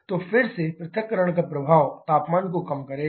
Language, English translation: Hindi, So, again, the effect of dissociation is to reduce the temperature